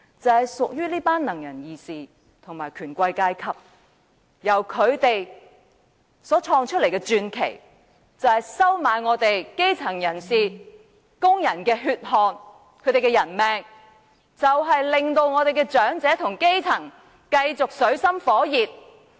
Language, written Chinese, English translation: Cantonese, 就是屬於這群"能人異士"和權貴階級，由他們所創的傳奇就是收買基層人士和工人的血汗和人命，以及令長者和基層繼續活在水深火熱。, It belongs to this group of able persons and plutocrats . This legend is created at the expense of the hard work and life of the grass roots and workers as well as the continuous extreme miseries of elderly people and the grass roots